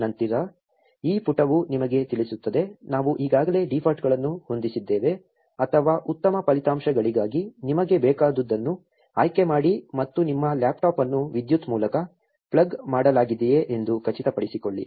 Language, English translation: Kannada, Then this page will tell you, what all you need for the best results given that we already set the defaults or make sure that your laptop is plugged into the power source